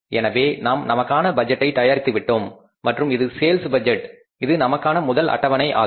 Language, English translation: Tamil, So, we have done this and we have prepared this budget for us and this is the sales budget, this is the first schedule for us